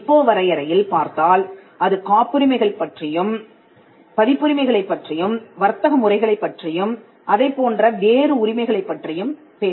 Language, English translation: Tamil, Now you will find in the WIPOs definition that they talk about patents they talk about copyrights they talk about trademarks designs and similar rights